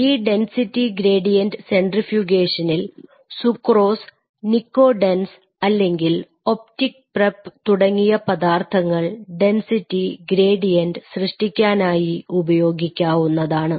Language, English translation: Malayalam, And this density gradient centrifugation, this process using sucrose or nycodenz or optic prep as the material to make the density gradients